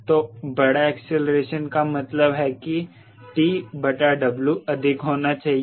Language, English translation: Hindi, so larger acceleration means t by w should be high